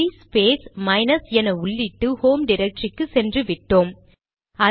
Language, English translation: Tamil, Now, you may type cd space minus and the prompt to go back to the previous working directory